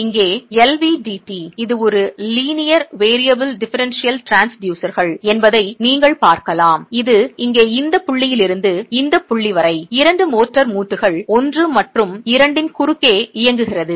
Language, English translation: Tamil, You can see that the LVDT here, this is a linear variable differential transducer that is running from the point here to a point here across two motor joints one and two